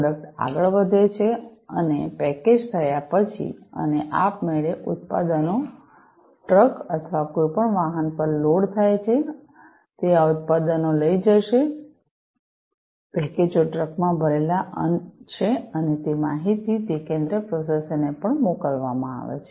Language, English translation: Gujarati, So, the product moves on further, after the these are packaged and automatically the products are loaded on the trucks or any vehicle, that is going to carry these products the packages are loaded on the truck and that information is also sent to that central processor